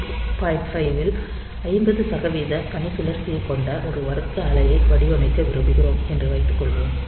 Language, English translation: Tamil, Suppose we want to design a square wave with 50 percent duty cycle on 4 bit 1